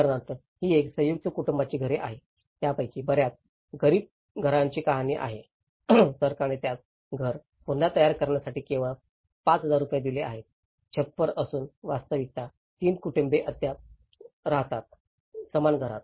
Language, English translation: Marathi, For instance, this is a story of a house as a joint family house and many of these poor houses, the government has given only 5000 rupees as a kind of support to rebuild their house, the roof and the reality is 3 families still live in the same house